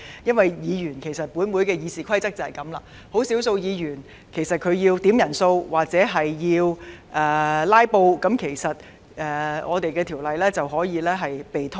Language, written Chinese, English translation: Cantonese, 因為根據立法會的《議事規則》，即使只有少數議員要求點算法定人數或"拉布"，《條例草案》便可能被拖延。, Of course many Members questioned last week whether the finishing touch can really be made so smoothly as expected because under the Rules of Procedure RoP of the Legislative Council consideration of the Bill maybe delayed even if only a few Members make quorum calls or filibuster